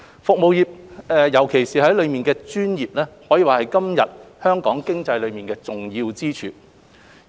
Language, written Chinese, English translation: Cantonese, 服務業，尤其是當中的專業服務，可以說是今日香港經濟的重要支柱。, Our service industries especially the professional services are the major pillar of Hong Kongs economy